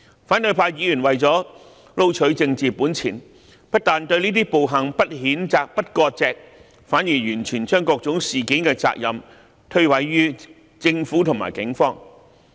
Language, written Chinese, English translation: Cantonese, 反對派議員為了撈取政治本錢，不但對這些暴行不譴責、不割席，反而完全將各種事件的責任推諉於政府及警方。, In order to gain political chips opposition Members have refused to condemn these violent acts and sever ties with such acts but instead put all the blame of various incidents on the Government and the Police